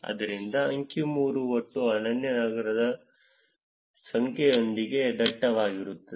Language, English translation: Kannada, So that is figure 3 is denser with the total number of unique cities